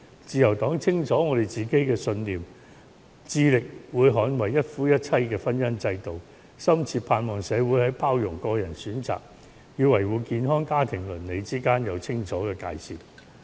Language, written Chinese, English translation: Cantonese, 自由黨清楚自己的信念，會致力捍衞一夫一妻的婚姻制度，深切盼望社會在包容個人選擇與維護健康家庭倫理之間有清楚的界線。, The Liberal Party knows well of its own conviction and we will endeavour to defend the monogamous marriage institution based on one man and one woman in Hong Kong . We deeply hope that our community can draw a clear line between tolerating personal choice and upholding family ethics